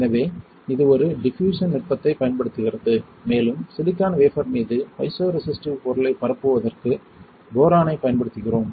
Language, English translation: Tamil, So, that is using a diffusion technique and we use here boron for diffusing the piezoresistive material on to the silicon wafer right